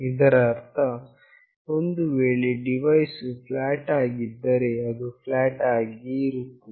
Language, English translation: Kannada, That means, if the device is flat, it will remain flat